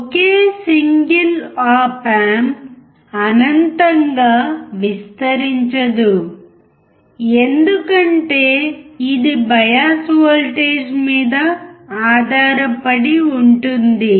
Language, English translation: Telugu, One single op amp cannot amplify infinitely as it depends on the bias voltage